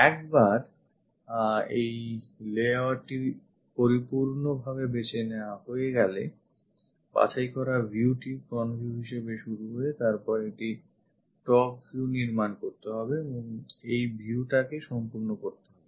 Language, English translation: Bengali, Once this layout is chosen complete is selected view begin with front view then construct a top view and complete these views